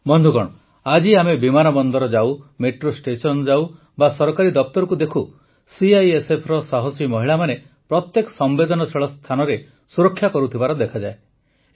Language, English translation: Odia, Friends, today when we go to airports, metro stations or see government offices, brave women of CISF are seen guarding every sensitive place